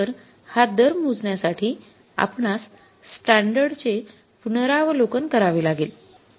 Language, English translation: Marathi, So, for calculating the rate we will have to now revise the standard